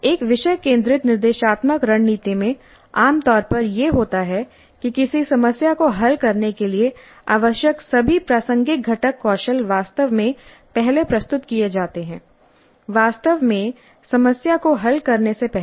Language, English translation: Hindi, In a topic centered instructional strategy, what typically happens is that the all relevant component skills required to solve a problem are actually first presented before actually getting to solve the problem